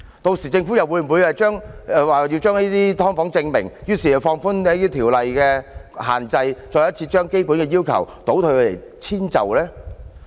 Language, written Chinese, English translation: Cantonese, 屆時政府又會否為了將"劏房"正名，於是放寬條例限制，再次將基本要求倒退，予以遷就呢？, By then for the sake of clearing the name of subdivided units will the Government relax the restrictions in law regressing from the basic requirements again as a compromise?